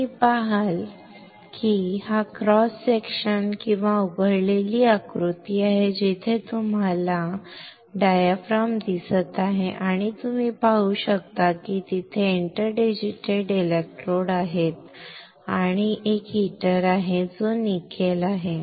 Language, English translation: Marathi, You see this is a cross section or blown up diagram where you see there is a diaphragm right, and you can see there are interdigitated electrodes and there is a heater which is nickel